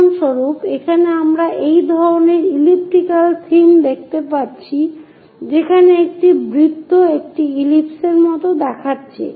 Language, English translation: Bengali, For example, here we are seeing that kind of elliptical theme, a circle here looks like an ellipse